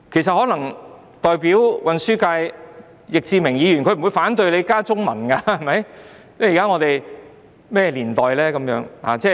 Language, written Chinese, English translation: Cantonese, 航運交通界的易志明議員不會反對我們加入中文，現在是甚麼年代？, Mr Frankie YICK of the Transport Functional Constituency will not oppose our proposal of including the Chinese language . Are we living in modern times?